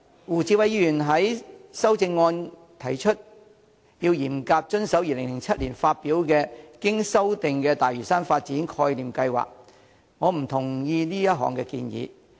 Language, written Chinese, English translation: Cantonese, 胡志偉議員在修正案提出要嚴格遵守2007年發表的"經修訂的大嶼山發展概念計劃"，我不同意這項建議。, Mr WU Chi - wais amendment proposes strictly adhering to the Revised Concept Plan for Lantau released in 2007 . I do not agree to this proposal